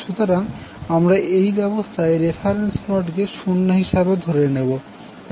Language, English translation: Bengali, So we are considering reference node as o in this particular arrangement